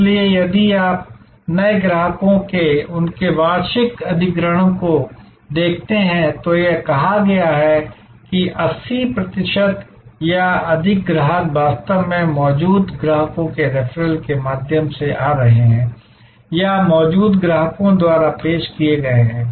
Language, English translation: Hindi, So, if you look at their annual acquisition of new customers, it has been said that 80 percent or more of the customers actually are coming through referral of existing customers or introduced by existing customers